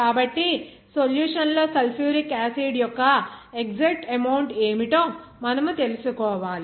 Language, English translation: Telugu, So, you have to know what will be the exact amount of sulfuric acid in the solution